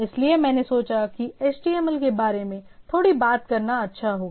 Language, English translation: Hindi, So, I thought that it will be good to talk about little brief about HTML